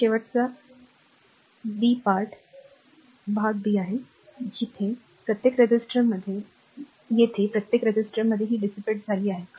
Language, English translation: Marathi, Now, now last b part is your part b, this thing the power dissipated in each resistor here